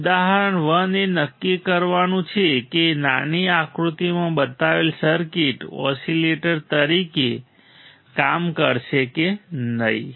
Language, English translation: Gujarati, Example 1 is determine whether the circuit shown in figure below will work as an oscillator or not